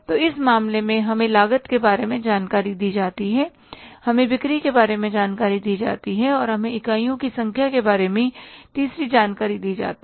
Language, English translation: Hindi, So in this case, we are given the information about the cost, we are given the information about sales, and we are given the third information about the number of units